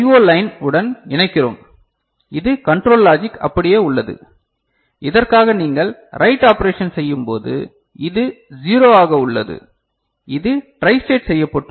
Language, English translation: Tamil, So, what we are doing over here we are just connecting it to the I O line over here right and this control logic remains the same, for which when you are doing the write operation, this is 0 so, it is tristated